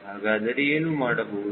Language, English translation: Kannada, so what is to be done